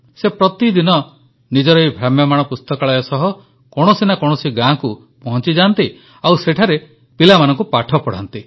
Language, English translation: Odia, Every day she goes to some village or the other with her mobile library and teaches children there